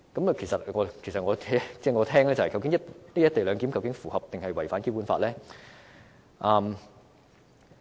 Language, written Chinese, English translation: Cantonese, 我聽到之後，便想問，"一地兩檢"究竟是符合還是違反《基本法》呢？, After listening to the above I want to ask whether the co - location arrangement is in line with or in contravention of the Basic Law